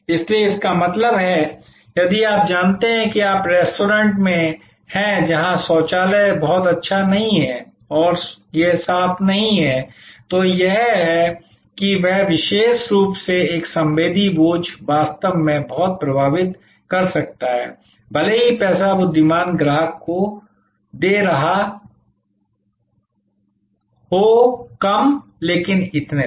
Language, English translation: Hindi, So; that means, if you know you are in a restaurant, where there is the toilet is not very good and this is not clean, then that this particular a sensory burden can actually affect a lot, even though the money wise the customer may be paying less and so on